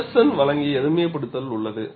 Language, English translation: Tamil, There is a simplification given by Feddersen